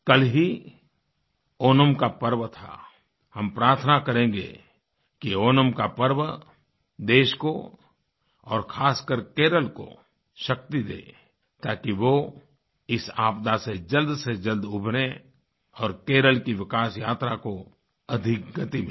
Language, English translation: Hindi, We pray for Onam to provide strength to the country, especially Kerala so that it returns to normalcy on a newer journey of development